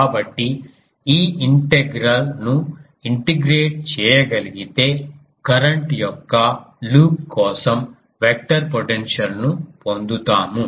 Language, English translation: Telugu, So, this integral if can be integrated, we get the vector potential for a loop of current